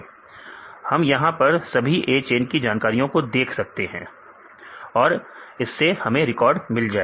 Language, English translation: Hindi, We can see all the; A chain information, this A chain information we will get the records